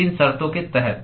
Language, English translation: Hindi, Under what conditions